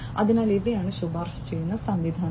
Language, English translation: Malayalam, So, these are the recommender systems